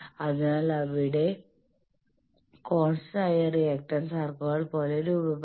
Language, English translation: Malayalam, So, there the constant reactance circles will be forming as if arcs